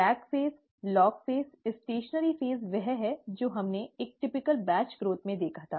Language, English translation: Hindi, The lag phase, the log phase, the stationary phase is what we had seen in a typical batch growth